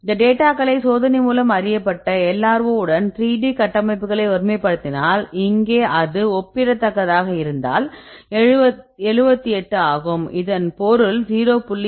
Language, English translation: Tamil, 86 when we compare the data with the experimentally calculated the LRO; that means, using known 3D structures, if that also here is comparable it is 78, this is 0